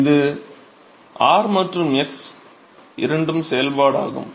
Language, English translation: Tamil, So, this is both function of r and x right